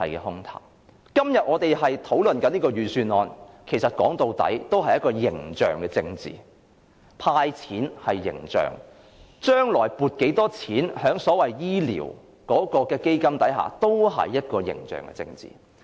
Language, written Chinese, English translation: Cantonese, 我們今天討論這份預算案，其實說到底也只是一種形象政治，無論"派錢"或將來向醫療基金撥款多少，均是形象政治。, At the end of the day our discussion on the Budget today is nothing but image politics . Cash handouts or future fundings to the medical fund are all image politics